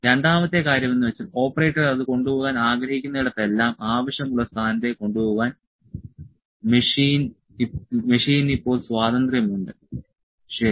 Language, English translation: Malayalam, Second thing is that machine is now free to take it to the desired position wherever about the operator would like to take it to, ok